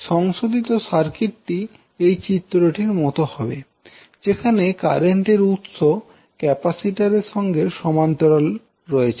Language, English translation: Bengali, So your modified circuit will look like as shown in the figure where the current source now will be in parallel with the inductance